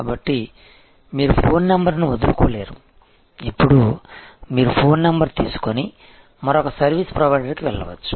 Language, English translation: Telugu, So, you could not abandon the phone number, now you can take your phone number and go to another service provider